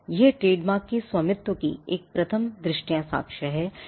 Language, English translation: Hindi, It is a prima facie evidence of proprietorship of the trademarks